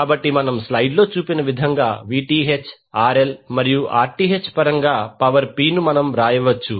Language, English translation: Telugu, So we can write power P in terms of Vth, RL and Rth like shown in the slide